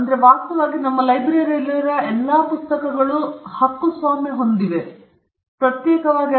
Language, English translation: Kannada, In fact, all the books that are there in our library just the copyright note is the sufficient; there is no need to separately register